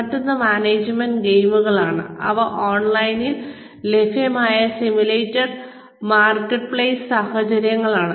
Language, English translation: Malayalam, The other is management games, which are nothing but, simulated marketplace situations, that are available online